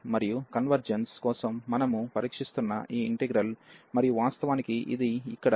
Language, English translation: Telugu, And this integral which we are testing for the convergence, and the originally this was in the form of x given by this function here